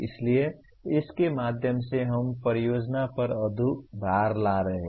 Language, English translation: Hindi, So through all this we are bringing lot of load on the project itself